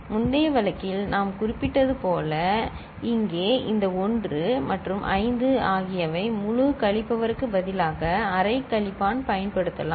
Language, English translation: Tamil, And as we had mentioned in the previous case, here also this 1 and 5 could use half subtractor instead of full subtractor